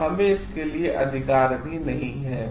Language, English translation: Hindi, And we do not have the right for it also